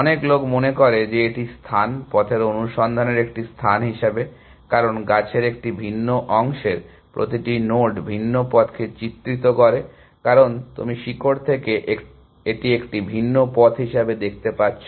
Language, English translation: Bengali, Many people tends to think of that is space, as a space of searching over paths, because each node in a different part of the tree depict the different path, because you know from route it as a different path